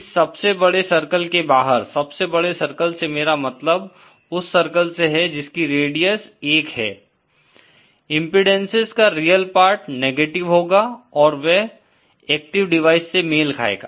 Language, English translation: Hindi, Outside this biggest circle, by biggest circle I mean the circle having radius 1, the real part of the impedances will be negative and that corresponds to active devices